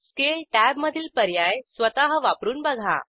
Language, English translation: Marathi, Explore Scale tab on your own